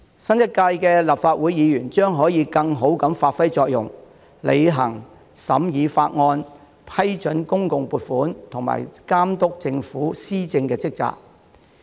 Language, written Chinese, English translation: Cantonese, 新一屆立法會議員將可以更好地發揮作用，履行審議法案、批准公共撥款和監督政府施政的職責。, Members of the new term Legislative Council will be better able to perform their roles in scrutinizing bills approving public funding and monitoring policy implementation by the Government